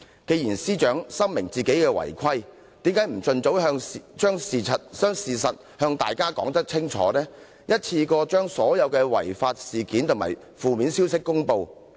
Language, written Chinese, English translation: Cantonese, 既然司長深明自己違規，為何不盡早將事實向大家說清楚，一次過將所有違法事件及負面消息公布？, If the Secretary for Justice is fully aware of her non - compliance why didnt she come clean and reveal all the unauthorized incidents and negative information to the public at the earliest opportunity?